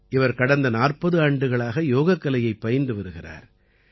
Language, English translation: Tamil, She has been practicing yoga for the last 40 years